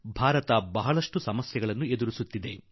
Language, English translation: Kannada, India is grappling with diverse challenges